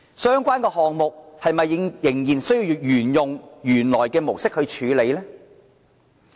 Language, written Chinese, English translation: Cantonese, 相關的項目又是否需要沿用原來的模式來處理呢？, Is it necessary to handle the project concerned by adopting the existing management model?